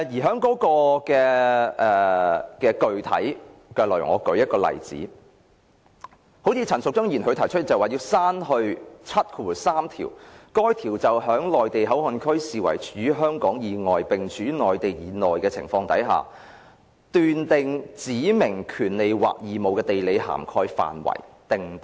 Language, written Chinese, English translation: Cantonese, 就具體的內容而言，我舉例，陳淑莊議員提出刪去第73條，該條為在內地口岸區視為處於香港以外並處於內地以內的情況，斷定權利或義務的地理涵蓋範圍。, With respect to specific details of the amendments for example Ms Tanya CHAN proposed to delete clause 73 which makes provision for determining the geographical scope for specified rights or obligations in the context of MPA being regarded as an area lying outside Hong Kong but lying within the Mainland